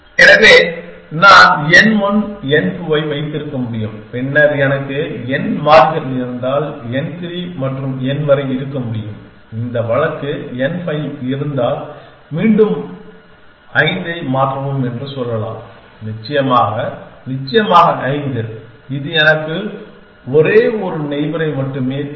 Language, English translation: Tamil, So, I can have n one n two then I can have n three and up to n if I have n variables and this case up to n five I can again say change all five essentially of course, that will give me only one neighbor